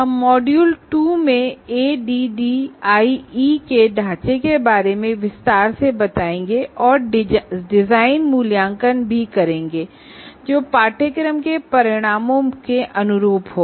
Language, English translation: Hindi, So, we will be elaborating in the module 2 about the framework of ADDI and also design assessment that is in good alignment with course outcomes